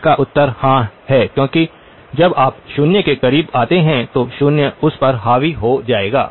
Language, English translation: Hindi, The answer is yes because when you come close to the zero, the zero will dominate it